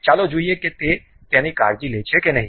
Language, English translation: Gujarati, Let us see whether that really takes care of it or not